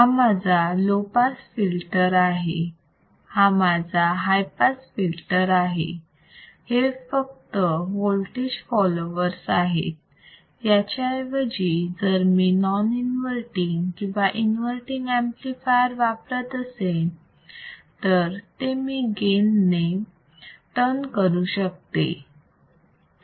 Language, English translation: Marathi, This is my low pass filter, this is my high pass filter right, but these are just voltage follower instead of voltage follower, if I use a non inverting amplifier or if use an inverting amplifier, they can be easily tuned by gain